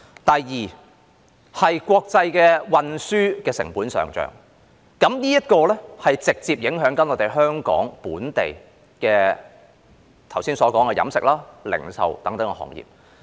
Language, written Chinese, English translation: Cantonese, 第二，國際運輸成本上漲，這直接影響了我剛才所說的香港本地飲食業，以及零售等其他行業。, Secondly the increase in the cost of international transport has directly affected the local catering industry which I have just mentioned as well as other sectors such as retail